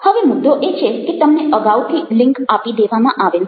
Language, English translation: Gujarati, now, the point is that, ah, the links have been already provided